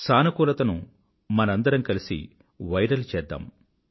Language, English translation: Telugu, Let's come together to make positivity viral